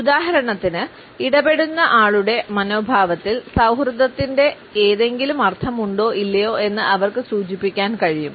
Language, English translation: Malayalam, For example, they can indicate whether there is any sense of friendliness in the attitude of the interactant or not